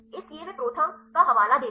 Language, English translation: Hindi, So, they also cite the ProTherm